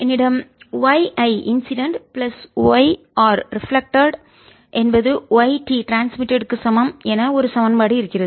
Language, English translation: Tamil, i have: y incident plus y reflected is equal to y transmitted